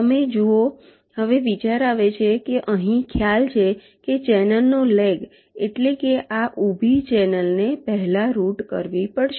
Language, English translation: Gujarati, now the idea is that you see, here the concept is that the leg of the channel, that means this vertical channel, has to be routed first